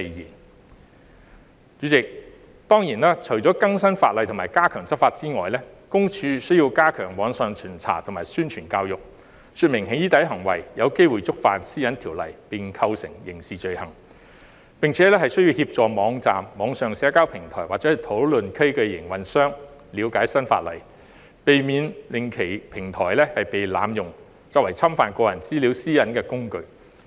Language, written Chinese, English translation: Cantonese, 代理主席，當然，除更新法例及加強執法外，私隱公署亦須加強網上巡查及宣傳教育，說明"起底"行為有機會觸犯《私隱條例》並構成刑事罪行，並且需要協助網站、網上社交平台或討論區的營運商了解新法例，避免其平台被濫用作為侵犯個人資料私隱的工具。, Deputy President apart from updating the legislation and ramping up enforcement PCPD should surely also reinforce online inspections step up publicity and education on the possibility of doxxing acts constituting a criminal offence under PDPO and assist operators of websites online social media platforms or discussion forums to understand the new legislation so as to prevent their platforms from being abused as a tool for infringing personal data privacy